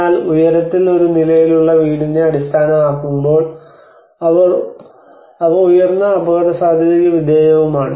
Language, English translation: Malayalam, But whereas in the high, which is a one storey house which is based on and they are subjected mostly to the high risk